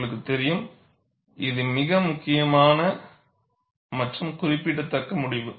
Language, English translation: Tamil, You know, this is a very very important and significant result